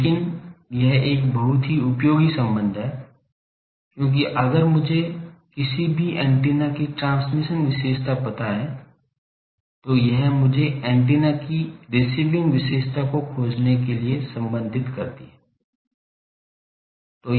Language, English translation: Hindi, But this is a very useful relation because, if I know transmission characteristic of any antenna, this relates me to find the receiving characteristic of the antenna